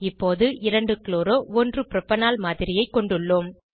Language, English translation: Tamil, We now have the model of 2 chloro 1 propanol